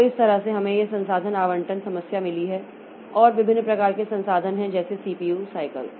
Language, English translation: Hindi, So, that way we have got this resource allocation problem and there are different types of resources like CPU cycle